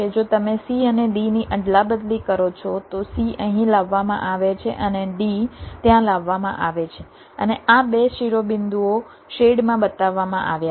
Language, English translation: Gujarati, if you exchange c and d, c is brought here and d is brought there, and this two vertices are shown, shaded